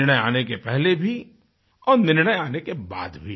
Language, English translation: Hindi, Whether it was before the verdict, or after the verdict